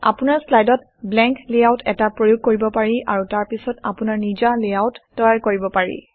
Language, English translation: Assamese, You can apply a blank layout to your slide and then create your own layouts